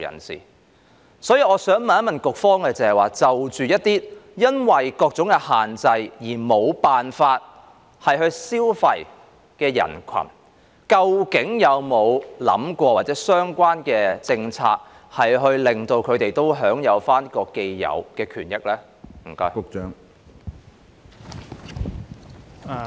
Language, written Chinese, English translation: Cantonese, 所以，我想問局方，就一些因為各種限制而無法消費的群體，究竟當局有否考慮相關的政策，令到他們也可以享受這個既有的權益呢？, For that reason may I ask the Secretary with regards to those who are unable to spend due to various restrictions has the Administration considered the implementation of certain policies to enable these people to enjoy their inherent right?